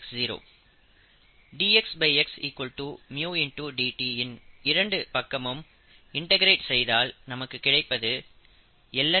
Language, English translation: Tamil, If we do that, and we will solve this dx by x equals mu dt, integrating both sides, we get lon x equals mu t plus c